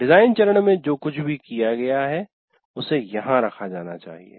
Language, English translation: Hindi, You just, whatever you have done in the design phase, it needs to be put here